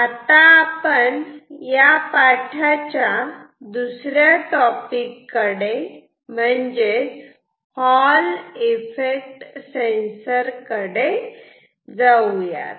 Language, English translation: Marathi, Now, let us move to our second topic in this chapter which is Hall Effect Sensor